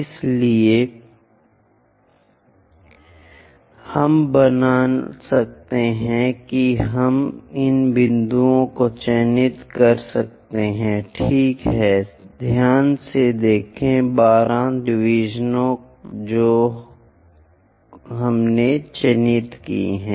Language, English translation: Hindi, So, that we can make we can mark these points ok, go carefully 12 divisions we have to mark